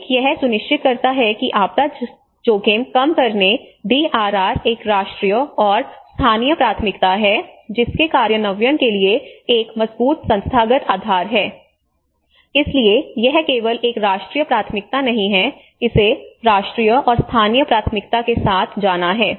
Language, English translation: Hindi, One is ensure that disaster risk reduction DRR is a national and local priority with a strong institutional basis for implementation, so it is not just only a national priority it has to go with a national and as well as a local priority